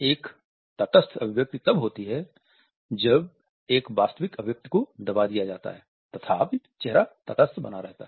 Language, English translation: Hindi, A neutralized expression occurs when a genuine expression is suppressed and the face remains, otherwise neutral